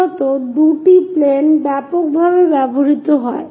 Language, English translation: Bengali, Mainly two planes are widely used